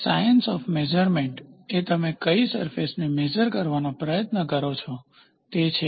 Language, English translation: Gujarati, A science of measurement where and which you try to measure surfaces